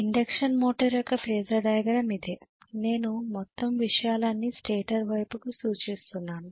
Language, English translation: Telugu, But this is what is the Phasor diagram of an induction motor, when I am referring the whole thing to the stator side right